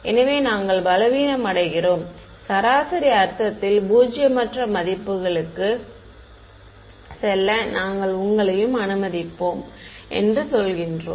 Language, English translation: Tamil, So, we are weakening it we are saying you can I will allow you too have it go to non zero values in a average sense